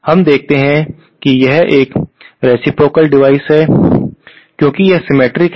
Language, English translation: Hindi, We see that it is a reciprocal devise because it is symmetric